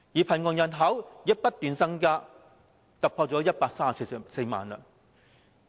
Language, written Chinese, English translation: Cantonese, 貧窮人口亦不斷增加，突破了134萬人。, The poverty population also keeps increasing exceeding 1.34 million